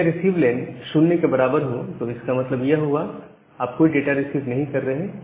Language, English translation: Hindi, So, if that received len is equal to equal to 0; that means, you are not receiving any data